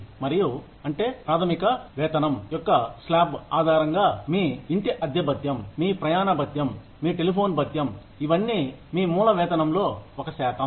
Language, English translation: Telugu, Things like, your house rent allowance, your travel allowance, your telephone allowance; all of these are a percentage of your base pay